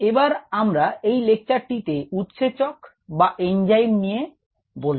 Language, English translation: Bengali, let us begin this lecture with enzymes